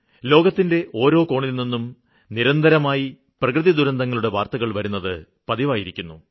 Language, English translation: Malayalam, There is continuous news of natural calamities from various parts of the world